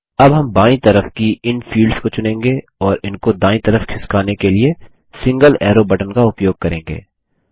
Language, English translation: Hindi, Now we will select these fields on the left and use the single arrow button to move them to the right side and click on Next button